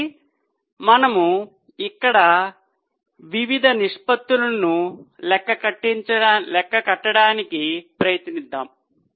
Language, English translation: Telugu, So, we have tried to variety of ratios there here